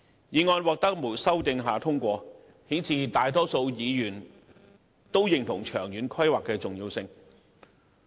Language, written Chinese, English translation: Cantonese, 議案在無經修訂下通過，顯示大多數議員認同長遠規劃的重要性。, The motion was passed without amendment indicating the importance of long - term planning as recognized by a majority of Members